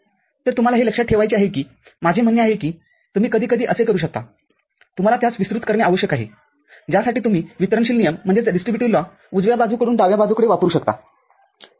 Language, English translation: Marathi, So, you have to remember I mean, you can sometimes you need to expand for which also you can use the distributive law from right hand side you go to left hand side, ok